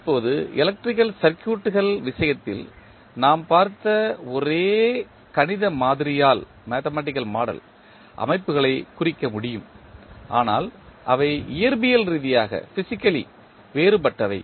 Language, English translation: Tamil, Now, the systems can be represented by the same mathematical model as we saw in case of electrical circuits but that are physically different